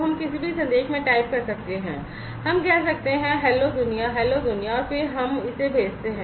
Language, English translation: Hindi, So we can type in any message, let us say, hello world, hello world, and then we send it